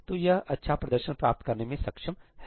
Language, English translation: Hindi, So, it is able to get good performance